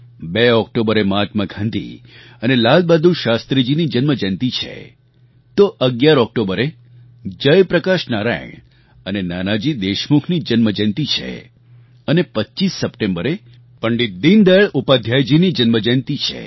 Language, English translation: Gujarati, 2nd October is the birth anniversary of Mahatma Gandhi and Lal Bahadur Shastri, 11th October is the birth anniversary of Jai Prakash Narain and Nanaji Deshmukh and Pandit Deen Dayal Upadhyay's birth anniversary falls on 25th September